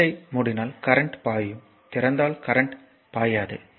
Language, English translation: Tamil, If you close the switch current will flow if you just open it and current will not flow